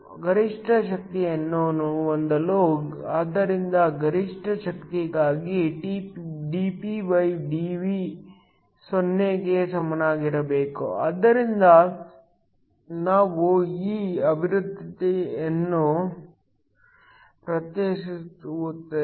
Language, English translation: Kannada, In order to have the maximum power so for maximum power dPdV should be equal to 0 so we are just differentiating this expression